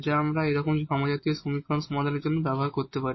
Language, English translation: Bengali, And now we have the solution technique which we can use for solving this such a homogeneous equation